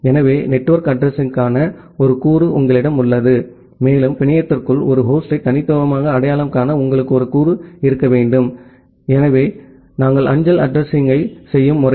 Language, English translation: Tamil, So, you have a component for the network address, and you should have a component to uniquely identify a host inside the network, so the way we do the postal address